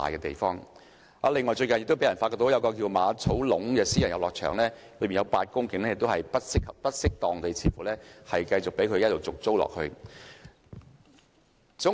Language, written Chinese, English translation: Cantonese, 此外，最近有人發覺一個名為馬草壟的私人遊樂場，當中有8公頃用地似乎不適當地被人繼續續租。, Besides it was recently discovered that the lease of a 8 - hectare private recreational site named Ma Tso Lung has been renewed inappropriately on a continuous basis